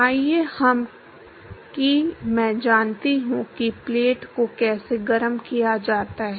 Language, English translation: Hindi, Let us say I know how to heat the plate